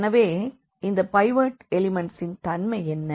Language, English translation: Tamil, So, what is the property of this pivot element